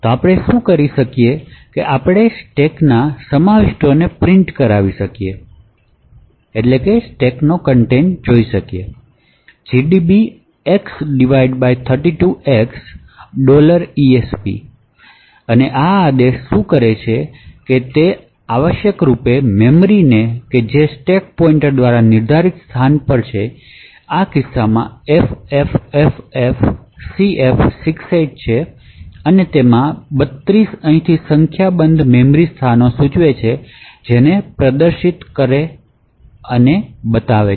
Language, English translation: Gujarati, the contents of the stack with a command like this x slash 32x dollar esp and what this command does is that it essentially dumps the memory starting at the location specified by the stack pointer which in this case is ffffcf68 and this 32 over here indicates a number of memory locations that needs to be displayed